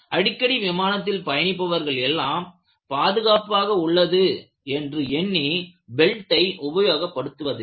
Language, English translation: Tamil, Many times the frequent flyers they will not put the belt thinking that everything is safe